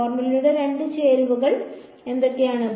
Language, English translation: Malayalam, What are the two ingredients of the formula